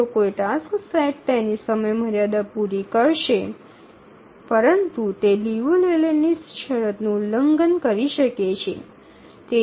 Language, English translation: Gujarati, Even if a task set is will meet its deadline but it may violate the Liu Leyland condition